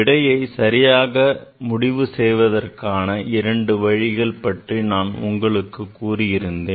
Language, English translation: Tamil, As I told that is there are two ways, there are two ways to decide how to write the correct answer